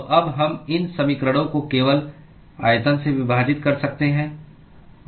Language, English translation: Hindi, So, now we can simply divide these equations by the volume